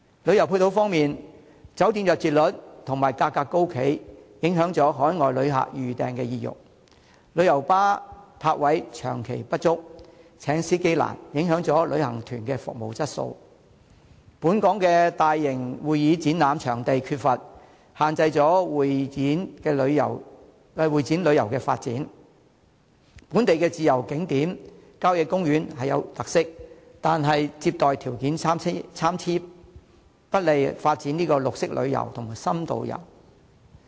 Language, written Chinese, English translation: Cantonese, 旅遊配套方面，酒店入住率和價格高企，影響海外旅客預訂意欲；旅遊巴泊位長期不足，難以聘請司機，影響旅行團的服務質素；本港缺乏大型會議展覽場地，限制會展旅遊的發展；本地自然景點和郊野公園富有特色，但接待條件參差，不利發展綠色旅遊和深度遊。, The persistent shortage of parking spaces for coaches and the difficulties encountered in employing drivers will affect the service quality of travel agencies . The lack of large - scale convention and exhibition venues in Hong Kong will limit the development of Meetings Incentive Conventions and Exhibitions MICE travel . While the local natural scenic spots and country parks have characteristics the varying conditions for visitor reception are not conducive to the development of green tourism and in - depth travel